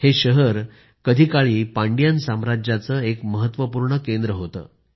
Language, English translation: Marathi, Once it was an important centre of the Pandyan Empire